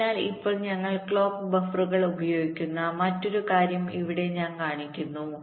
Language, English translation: Malayalam, ok, so now another thing: we use the clock buffers here i am showing